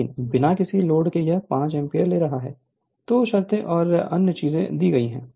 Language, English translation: Hindi, But at no load it is taking 5 ampere, 2 conditions and other things are given right